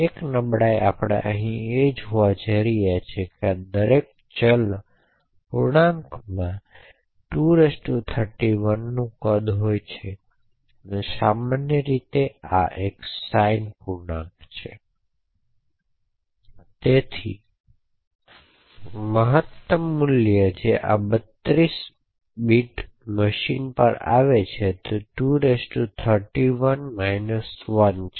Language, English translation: Gujarati, So the one vulnerability that we are actually going to exploit here is that each of these variables int has a size of 2^31, so typically this is a signed integer so the maximum value that can be represented in the signed integer on this 32 bit machine is 2^31 minus 1